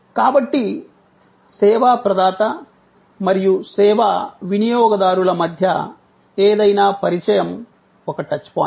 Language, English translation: Telugu, So, any point of the contact, between the service provider and the service consumer is a touch point